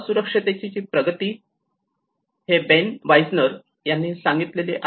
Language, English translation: Marathi, The progression of vulnerability, this is by Ben Wisner